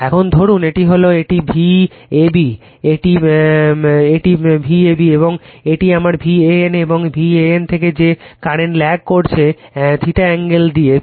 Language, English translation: Bengali, Now, suppose this is your , this is your V a b this is your V a b right; and this is my V a n right and current lag from V a n by angle theta